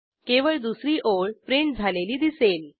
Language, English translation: Marathi, We see only the second line as printed